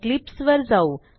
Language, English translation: Marathi, So switch to Eclipse